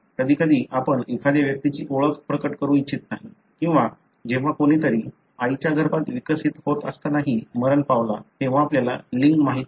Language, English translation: Marathi, At times you don’t want to reveal the identity of an individual or, when, someone passed away even when they were developing in the, inside mother, so you don’t know the sex